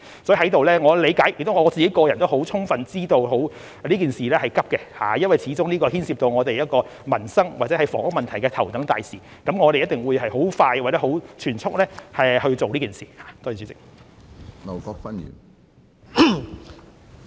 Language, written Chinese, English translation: Cantonese, 所以，我理解亦充分知道這事情是急的，因為這始終是牽涉民生或房屋問題的頭等大事，我們一定會盡快及全速地去做這事。, So I understand and am fully aware of the urgency of this matter as it after all involves issues of utmost importance such as the peoples livelihood and housing . We will certainly work on it expeditiously and at full steam